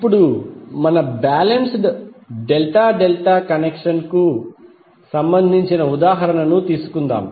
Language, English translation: Telugu, Now let us take the example related to our balanced delta delta connection